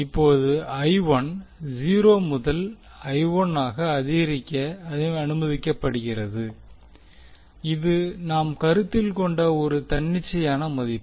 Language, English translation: Tamil, Now I 1 is now allowed to increase from 0 to capital I 1 that is one arbitrary value we are considering